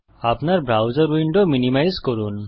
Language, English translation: Bengali, Minimize your browser window